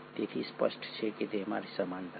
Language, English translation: Gujarati, So clearly there are similarities